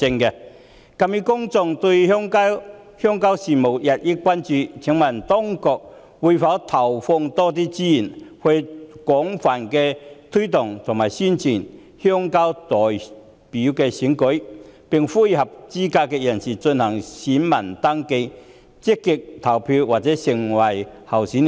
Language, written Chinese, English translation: Cantonese, 鑒於公眾對鄉郊事務日益關注，請問當局會否投放更多資源，廣泛推動和宣傳鄉郊代表選舉，並呼籲合資格人士進行選民登記，積極投票或成為候選人？, In view of growing public concern over rural affairs may I ask if the authorities will allocate more resources to launch extensive promotion and publicity on rural representative election and appeal to eligible voters to register vote enthusiastically or stand as candidates?